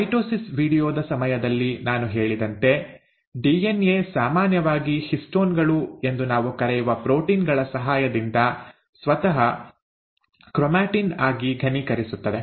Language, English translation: Kannada, As I had mentioned during my mitosis video, the DNA normally condenses itself into chromatin with the help of proteins which we call as histones